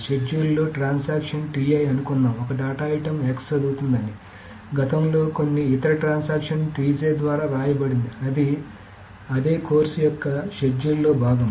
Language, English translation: Telugu, Suppose in the schedule, the transaction TI reads a data item X that has been previously written by some other transaction TJ as part of the same schedule, of course